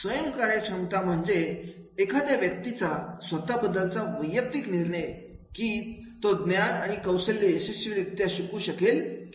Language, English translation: Marathi, Self efficacy is a person's judgment about whether he or she can successfully learn knowledge and skills